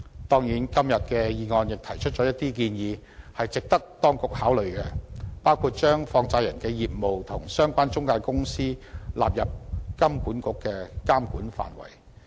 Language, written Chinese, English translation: Cantonese, 當然，今天的議案亦提出了一些值得當局考慮的建議，包括把放債人業務及相關中介公司納入香港金融管理局監管範圍。, Certainly the motion today has made some proposals which are worth consideration such as the inclusion of the businesses of money lenders and the related intermediaries into the regulatory ambit of the Hong Kong Monetary Authority HKMA